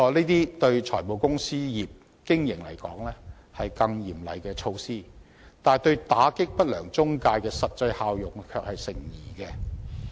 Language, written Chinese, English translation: Cantonese, 對於財務公司業的經營而言，這些誠然會是更加嚴厲的措施，但對於打擊不良中介公司的實際效用卻成疑。, For the operation of finance company business these requirements will admittedly become even more stringent . However their actual effectiveness of combating unscrupulous intermediaries is questionable